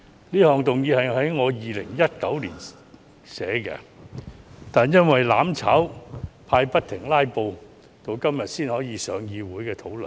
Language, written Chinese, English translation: Cantonese, 這項議案是我在2019年草擬的，但因為"攬炒派"不停"拉布"，直至今天才能在立法會會議上討論。, I drafted this motion in 2019 but it could not be discussed at the Legislative Council meeting until today due to the constant filibustering by the mutual destruction camp